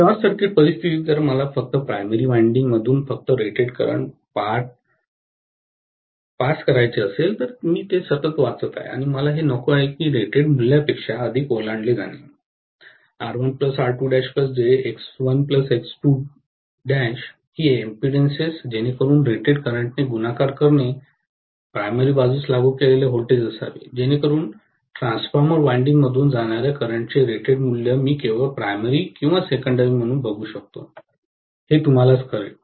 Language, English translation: Marathi, Under short circuit conditions if I want to pass only rated current through the primary winding, I am reading it continuously and I do not want that to exceed the rated value, the impedances R1 plus R2 dash plus j into X1 plus X2 dash, so that multiplied by rated current should have been the applied voltage from the primary side, so that it will only actually you know put the rated value of current passing through the transformer windings, whether I look at the primary or secondary, if I limit the current to rated value, both of them will be limited to rated value, okay